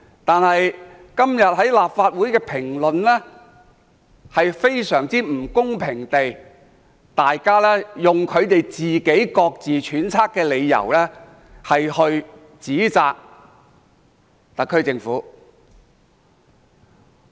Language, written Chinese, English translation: Cantonese, 但是，今天很多立法會議員卻非常不公平地用他們自己揣測的理由指責特區政府。, Yet many Legislative Council Members have unfairly accused the SAR Government today for reasons that they speculated